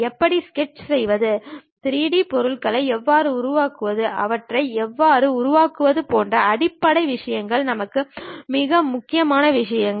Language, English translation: Tamil, The basic things like how to sketch, how to make 3D objects, how to assemble made them is the most important thing for us